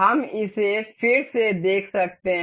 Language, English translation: Hindi, We can see it again